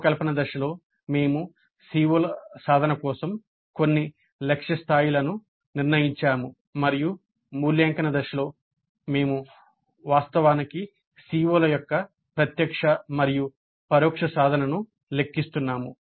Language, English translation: Telugu, So, during the design phase we have set certain target levels for the attainment of the COs and in the evaluate phase we are actually computing the direct and indirect attainment of COs